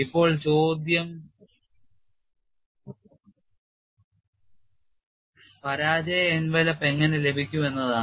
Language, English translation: Malayalam, Now the question is how to get the failure envelop